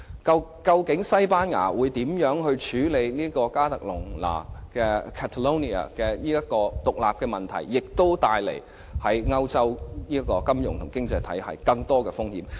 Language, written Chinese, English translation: Cantonese, 究竟西班牙會如何處理加泰隆尼亞的獨立索求，亦為歐洲的金融經濟體系帶來頗大風險。, How Spain handles Catalonias demand for independence will also pose a great risk to the European financial and economic system